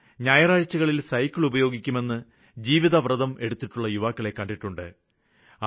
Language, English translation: Malayalam, I have met so many youth who have taken the pledge 'Sunday on Cycle'